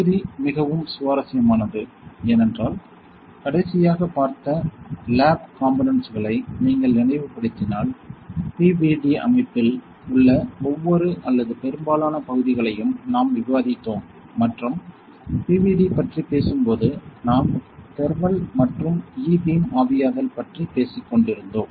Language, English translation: Tamil, This module is really interesting because if you recall the last lab component; we were discussing each and every or most of the parts within the PVD system and when we talk about PVD; we were talking about thermal and E beam evaporation right